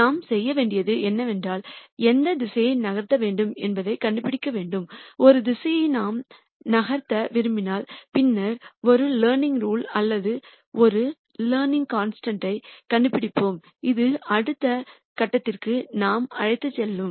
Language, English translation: Tamil, What we need to do is we need to find a direction in which to move and once we find a direction in which we would like to move, then we will find out a learning rule or a learning constant which will take us to the next point